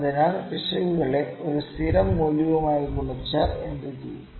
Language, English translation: Malayalam, So, what if we multiply the errors with a constant